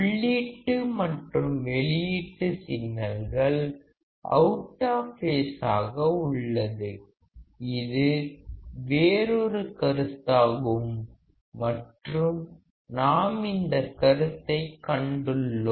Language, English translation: Tamil, Input and output signals are out of phase; this is another concept and we have seen this concept